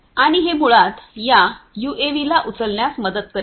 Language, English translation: Marathi, And, this basically will help this UAV to take the lift